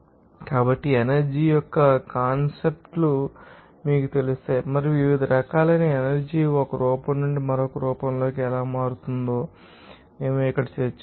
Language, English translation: Telugu, So, we have discussed here regarding that you know concepts of energy and how different forms of energy is converting from one form to another form